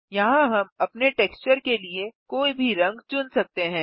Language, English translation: Hindi, Here we can select any color for our texture